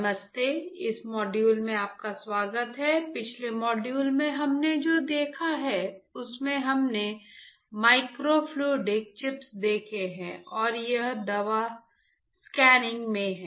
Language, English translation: Hindi, Hi, welcome to this module, in the last module what we have seen we have seen the microfluidic chips and it is application in drug scanning right